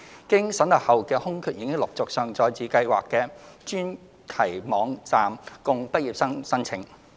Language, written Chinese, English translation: Cantonese, 經審核後的空缺已陸續上載至計劃的專題網站供畢業生申請。, The vetted vacancies are being uploaded to the schemes dedicated website by batches for graduates to apply